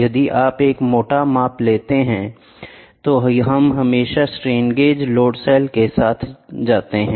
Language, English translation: Hindi, If you want to have a rough measurements, then we always go with strain gauge load cells